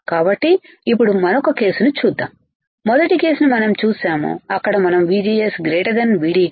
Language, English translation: Telugu, So, now, let us see another case, we have seen the first case right where we have considered where we have considered that VGS is greater than V T